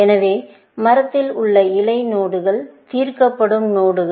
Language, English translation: Tamil, So, the leaf nodes in the tree would be solved nodes